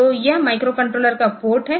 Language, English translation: Hindi, So, this is the port of the micro controller